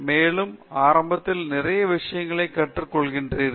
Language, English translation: Tamil, also; initially, you learn a lot of things